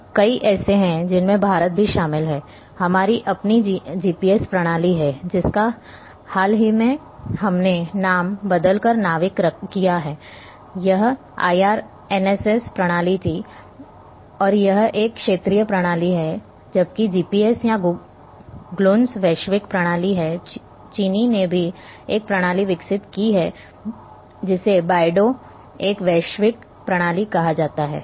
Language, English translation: Hindi, Now we are having several including India is having our own GPS system like which we recently it has been renamed as NAVIC it was IRNSS system and it is a regional system whereas, GPS or Gluons are global system Chinese have also developed a system which is called Beidou, so these that is global system